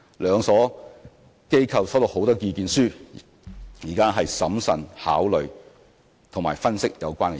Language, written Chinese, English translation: Cantonese, 兩所機構收到很多意見書，現正審慎地考慮及分析有關意見。, A large number of submissions have been received and SFC and HKEx are considering and analysing the views carefully